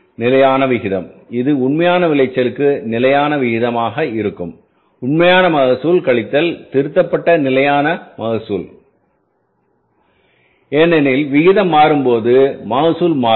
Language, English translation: Tamil, Again, the standard rate will mean the same standard rate into, it will be the various standard rate into actual yield, actual yield minus revised standard yield because when the proportion is changing, yield will change